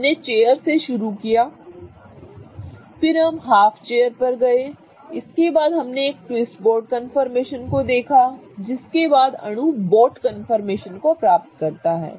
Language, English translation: Hindi, We have started from chair, we have gone to half chair, we have gone to, after that we looked at a twist boat confirmation, followed by which the molecule achieves a boat confirmation